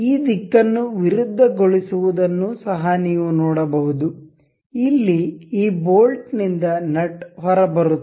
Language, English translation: Kannada, You can also see on reversing this direction this opens the nut out of this bolt